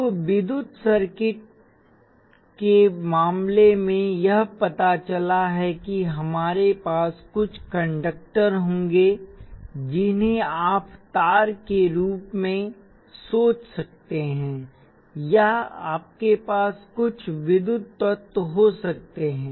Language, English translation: Hindi, Now, in case of electrical circuits, it turns out that we will have certain conductors which are you can think of them as wires or you could have some electrical elements